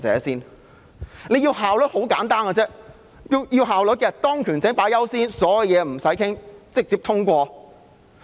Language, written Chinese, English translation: Cantonese, 想要有效率是很簡單的，以當權者優先，所有事情也無須討論，直接通過。, We can achieve efficiency simply by putting the authority first and passing everything direct without any discussion